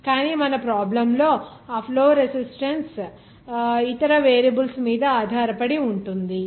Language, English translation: Telugu, How this flow resistance will be changing with respect to variables